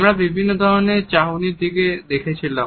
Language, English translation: Bengali, We had looked at different types of gazes